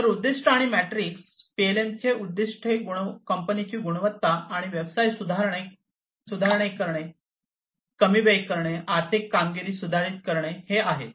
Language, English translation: Marathi, So, objectives and metrics, the objective of a company for PLM is to improve the quality and business, reduce the time, improve the financial performance